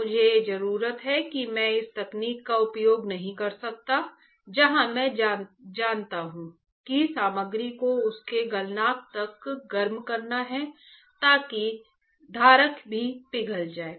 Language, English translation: Hindi, I need I cannot use this technique where I am you know heating the material to its melting point because the source material will also get that the holder will also get melted right